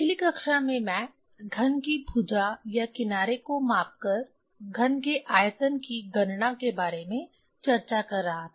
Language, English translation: Hindi, In last class I was discussing about the calculation of the volume of a cube measuring the side or edge of the cube